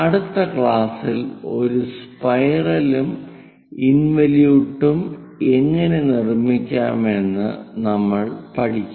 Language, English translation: Malayalam, In the next class we will learn about how to construct spiral and involute